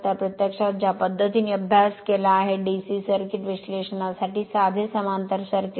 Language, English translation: Marathi, So, the way you have studied, your simple parallel circuit for DC circuit analysis